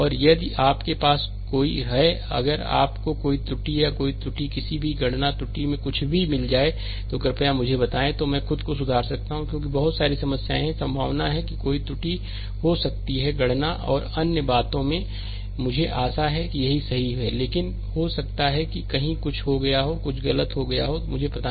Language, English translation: Hindi, And if you have any, if you find any error or any any any error any calculation error or anything please let me know, then I can rectify myself because so many problems are there, there is possibility there is possibility that there may be an error in calculation and other thing I to hope it is correct, but may be somewhere something has gone something might have gone wrong also, I do not know